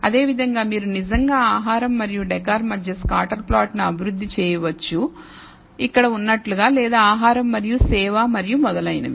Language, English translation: Telugu, And similarly you can actually develop a scatter plot between food and decor which is here or food and service and so on